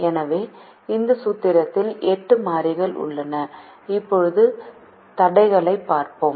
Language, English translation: Tamil, so there are eight variables in this formulation